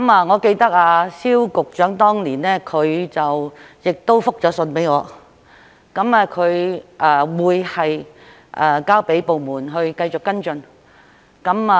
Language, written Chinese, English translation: Cantonese, 我記得蕭局長當年亦覆信給我，表示他會交給部門繼續跟進。, I recall that Secretary SIU also gave me a written reply saying that he would refer it to the department concerned to follow up